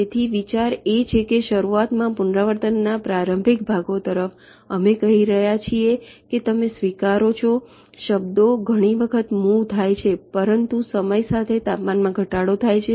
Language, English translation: Gujarati, so the idea is that there is initially, towards the initial parts of the iteration you are saying that you may accept words moves many a time, but as time progresses the temperature drops